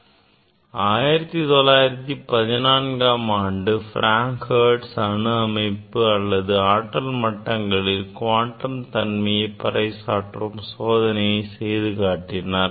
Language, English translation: Tamil, Hertz performed experiment to demonstrate the quantum nature of atomic states or energy levels